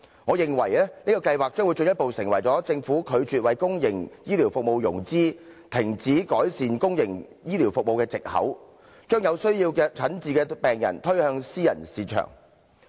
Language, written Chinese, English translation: Cantonese, 我認為這個計劃將會進一步成為政府拒絕為公營醫療服務融資，停止改善公營醫療服務的藉口，將有需要診治的病人推向私營市場。, For I consider that the programme will offer another excuse for the Government to refuse to make financing arrangement for and stop making improvement in public healthcare services by pushing patients in need of treatment to the private market